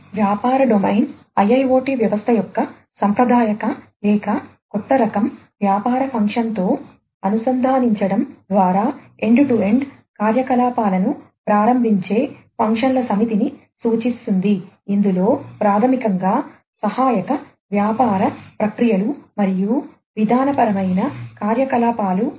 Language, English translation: Telugu, The business domain represents the set of functions which enables end to end operations of the IIoT system by integrating them with the traditional or, new type of business function, which basically includes supporting business processes and procedural activities